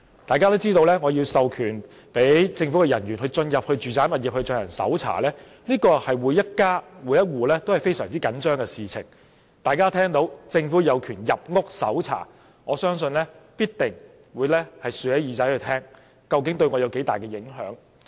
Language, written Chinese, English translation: Cantonese, 大家均知道，要授權政府人員進入住宅物業搜查，這是每家每戶均非常緊張的事情，大家聽到政府有權入屋搜查，必定會豎起耳朵聆聽究竟對他們會有多大影響。, We can imagine that every household will be nervous about authorizing government officers to enter domestic premises to conduct searches . If people know that the Government has this authority they will certainly listen attentively to the extent they will be affected